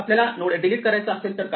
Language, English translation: Marathi, What if we want to delete a node